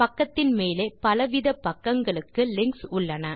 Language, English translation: Tamil, On the topmost part of this page we have the links to various pages